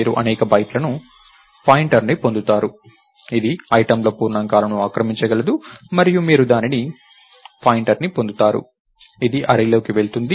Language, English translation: Telugu, You get a pointer to so many bytes which can occupy num items integers and you get a pointer to that, that goes into array